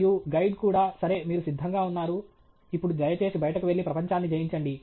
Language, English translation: Telugu, And the guide also says, ok, you are ready, now please go out and conquer the world okay